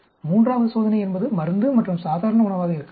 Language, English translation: Tamil, Third experiment could be drug and normal diet